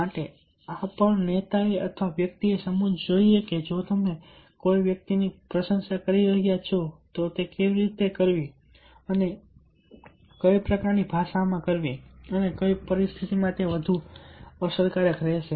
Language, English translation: Gujarati, so this is also ah leader or a person should understand that if you are appreciating the person, how, what kind of language and in what kind of situation, t will be more effective